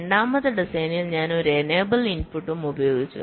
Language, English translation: Malayalam, in the second design i have also used an enable input